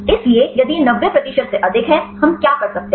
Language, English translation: Hindi, So, if it is more than 90 percent; what can we do